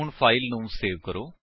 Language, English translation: Punjabi, Now save this file